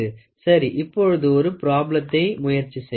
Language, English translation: Tamil, So, now, let us try to solve the problem